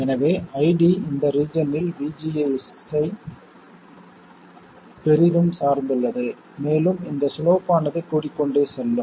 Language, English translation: Tamil, So ID does strongly depend on VGS in this region and the slope only goes on increasing